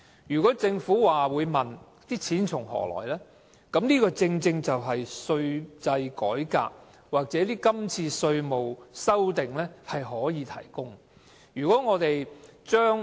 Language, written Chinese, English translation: Cantonese, 如果政府問錢從何來，這次的稅制改革或稅務修訂正好提供所需的款項。, If the Government asks where the money comes from the present tax reform or tax revision may provide the necessary funding